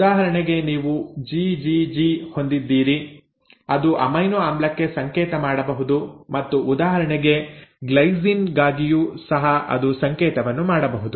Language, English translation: Kannada, It means if it is GGG it will always code for a glycine, it cannot code for any other amino acid